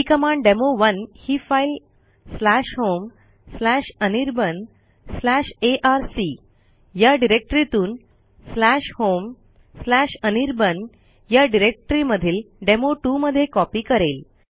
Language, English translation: Marathi, This will again copy the file demo1 presenting the /home/anirban/arc/ directory to /home/anirban directory to a file whose name will be demo1 as well